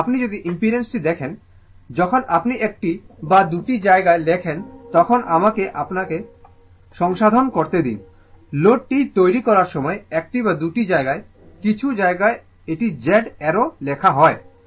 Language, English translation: Bengali, But, if you look at the, if you look at the impedance, impedance when you write one or two places let me rectify you, one or two places while making the load some places it is written Z arrow